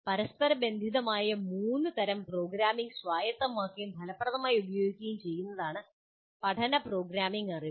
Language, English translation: Malayalam, Learning programming involves the acquisition and effective use of three interrelated types of programming knowledge